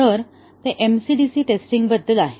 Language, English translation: Marathi, So, that is about MCDC testing